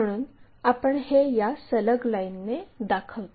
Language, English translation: Marathi, So, we show it by a continuous line